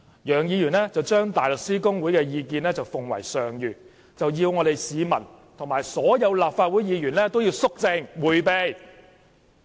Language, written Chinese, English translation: Cantonese, 楊議員將大律師公會的意見奉為上諭，要市民及所有立法會議員都肅靜迴避。, Mr YEUNG regarded the Bar Associations opinions as imperial instructions which should be heeded by all Legislative Council Members and members of the public